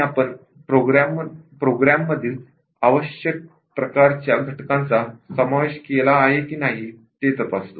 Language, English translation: Marathi, And, we check whether the required types of elements in the program are covered